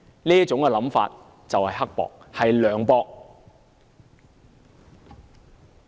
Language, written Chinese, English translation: Cantonese, 這種想法，何其刻薄和涼薄。, How mean and heartless such a mindset is